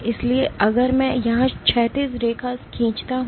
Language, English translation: Hindi, So, if I draw horizontal line here